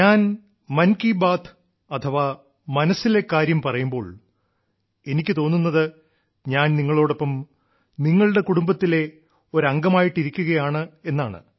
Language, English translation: Malayalam, When I express Mann Ki Baat, it feels like I am present amongst you as a member of your family